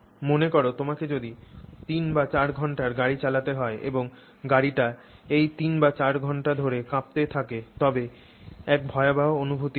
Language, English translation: Bengali, Imagine if you had to drive for like three or four hours in a vehicle and your whole vehicle kept on shaking for those three or four hours